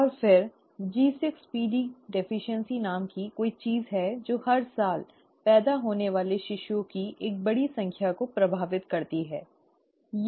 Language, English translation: Hindi, And then there is something called G6PD deficiency which seems to affect a large number of infants born every year, right